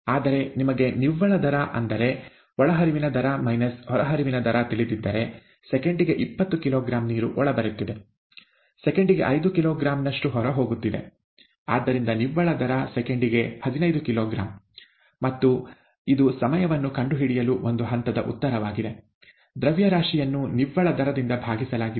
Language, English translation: Kannada, Whereas, if you know the net rate, that is the rate of input minus the rate of output, water is coming in at twenty kilogram per second, going out at five kilogram per second; so the net rate is fifteen kilogram per second, and it is a one step answer to find the time, it is mass by the net rate